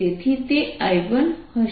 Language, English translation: Gujarati, so that will be i one